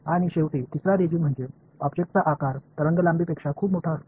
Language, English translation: Marathi, And finally the third regime is where the object size is much larger than the wavelength